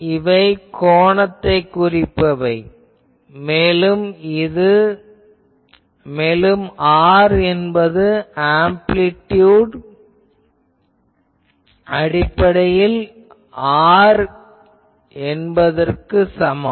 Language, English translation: Tamil, This is for phase terms and R is equal to r for amplitude terms